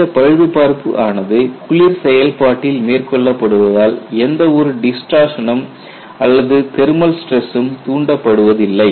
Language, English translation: Tamil, As the repairs are carried in cold process, no distortion or thermal stress is induced